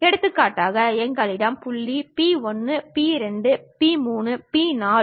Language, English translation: Tamil, For example, we have point P 1, P 2, P 3, P 4